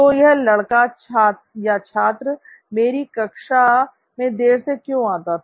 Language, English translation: Hindi, So why was this guy student late to all my classes